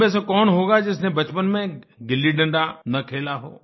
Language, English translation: Hindi, " Who amongst us would not have enjoyed playing GilliDanda in our childhood